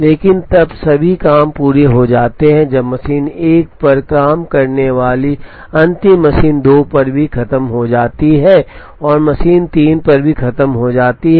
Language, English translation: Hindi, But then all the jobs are completed only when the last job entering machine 1 also finishes on machine 2 and also finishes on machine 3